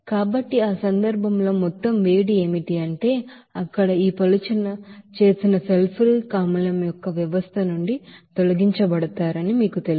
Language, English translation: Telugu, So in that case, what will be the total heat is actually you know to be removed from that system of this diluted sulfuric acid there